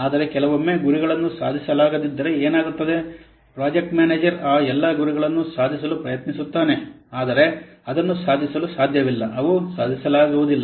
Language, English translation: Kannada, But sometimes what happens if the targets are not achievable, the project manager tries to achieve all those targets, but it's not possible to achieve they are not achievable